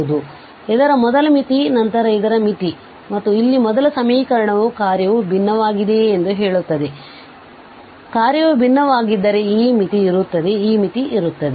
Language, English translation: Kannada, So, the first the limit of this then the limit of this and here the first expression here tells if the function is differentiable, this limit will exist if the function is differentiable, this limit will exist